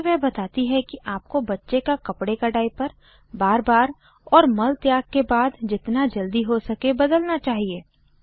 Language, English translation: Hindi, She further says that you should change your babys cloth diaper frequently, and as soon as possible after bowel movements